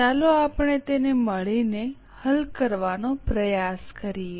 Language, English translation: Gujarati, Let us try to solve it together